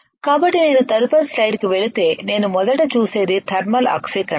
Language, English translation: Telugu, So, if I go to the next slide what I see here is first is I see a thermal oxidation